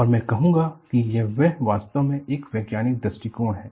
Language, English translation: Hindi, And I would say, it is really a scientific approach